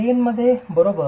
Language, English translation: Marathi, In plain, right